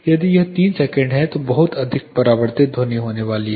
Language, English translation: Hindi, If it is 3 seconds there is going to be a lot of reflected sound